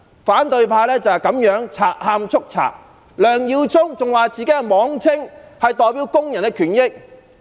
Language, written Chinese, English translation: Cantonese, 反對派就是這樣賊喊捉賊，梁耀忠議員還說自己是代表工人的權益。, The opposition camp is just like a thief crying thief . Mr LEUNG Yiu - chung even claims that he represents the rights and interests of labour